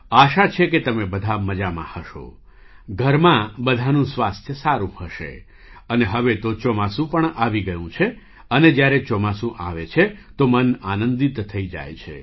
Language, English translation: Gujarati, I hope all of you are well, all at home are keeping well… and now the monsoon has also arrived… When the monsoon arrives, the mind also gets delighted